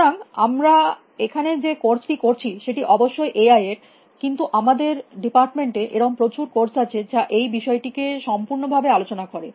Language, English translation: Bengali, So, of course, we are doing this course on AI which we are doing here, but in our department, there are a whole lot of courses which cover these areas